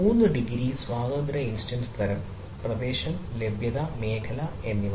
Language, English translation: Malayalam, three degree of freedom, instance type, region and availability zone